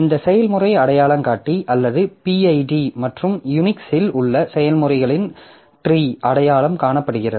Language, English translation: Tamil, So, this process is identified by this process identifier or PID and a tree of processes in Unix so it will look something like this